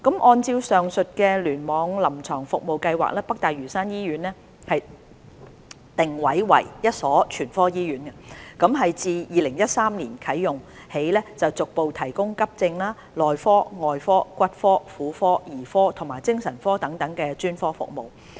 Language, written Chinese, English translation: Cantonese, 按照臨床服務計劃，北大嶼山醫院定位為一所全科醫院，自2013年啟用起逐步提供急症、內科、外科、骨科、婦科、兒科及精神科等專科服務。, According to the aforementioned CSP NLH is positioned as a general hospital and has been progressively providing specialist services such as Emergency Medicine Medicine Surgery Orthopaedics and Traumatology Gynaecology Paediatrics and Psychiatry since its service commissioning in 2013